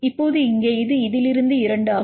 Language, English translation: Tamil, Now here this is from this is 2